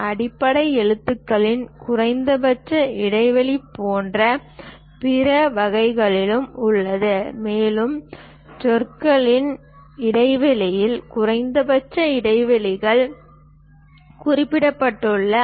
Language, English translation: Tamil, And there are other varieties like minimum spacing of base characters, and also minimum spacing between words are also mentioned